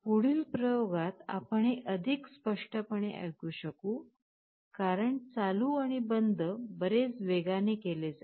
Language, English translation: Marathi, In the next experiment, you can hear it much more clearly because, will be switching ON and OFF much faster